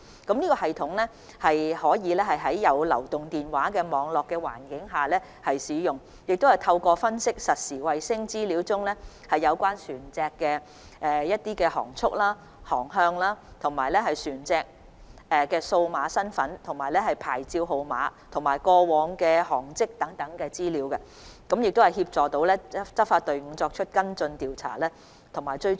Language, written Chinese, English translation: Cantonese, 這系統可以在有流動電話網絡覆蓋的環境下使用，亦可透過分析實時衞星資料中有關船隻的航速和航向、船隻的數碼身份及牌照號碼，以及過往的航跡等，從而協助執法隊伍作出跟進、調查及追蹤。, This system can be used in environments with mobile phone network coverage and it can also assist enforcement teams in follow - up investigation and tracking by analysing the speed course digital identity licence numbers and past tracks of vessels in the real - time satellite data